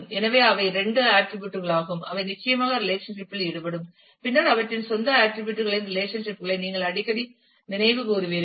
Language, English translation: Tamil, So, these are the two attributes, which will certainly be involved in the relationship and then you would recall that often relationships of their own attributes